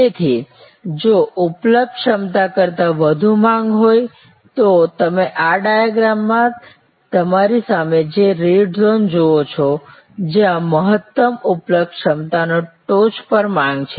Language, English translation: Gujarati, Therefore, if there is demand which is higher than the capacity that is available, the red zone that you see in this diagram in front of you, where the demand is there on top of the maximum available capacity